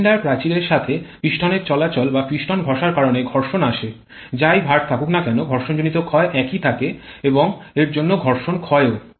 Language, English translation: Bengali, Friction comes because of the movement of piston or rubbing of piston with cylinder walls, whatever load that may be the friction loss will all will remain the same and hence the friction loss